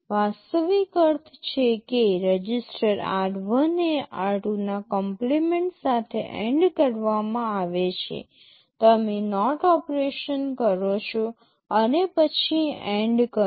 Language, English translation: Gujarati, The actual meaning is the register r1 is ANDed with the complement of r2; you take a NOT operation and then do an AND